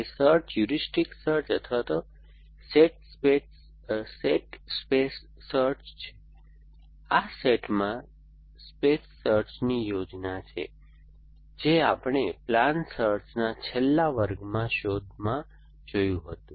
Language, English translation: Gujarati, That search heuristic search or set space search searches in this set of states plan space search that we saw in the last class searches in the space of plans